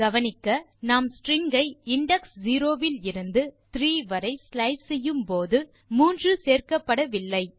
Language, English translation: Tamil, Note that, we are slicing the string from the index 0 to index 3, 3 not included